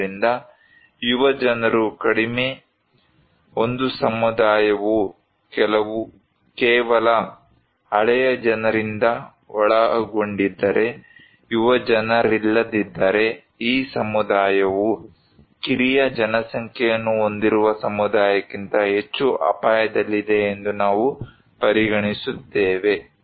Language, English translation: Kannada, And so, young people is less so, if a community is comprised by only old people, no young people, then we consider that this community is at risk than a community which has more younger population